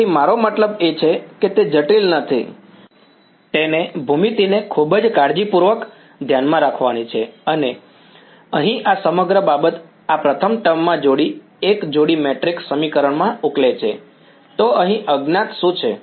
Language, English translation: Gujarati, So, I mean it is not complicated, it is have to keep geometry very carefully in mind and this whole thing over here will boil down to a coupled matrix equation this first term over; so, what is the unknown over here